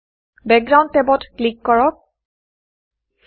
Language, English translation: Assamese, Click the Background tab